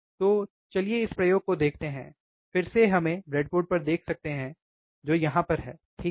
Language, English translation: Hindi, So, let us see this experiment so, again we can see on the breadboard which is right over here, right